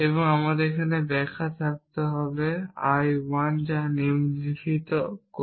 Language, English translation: Bengali, Now, we can have one interpretation I 1, which does the following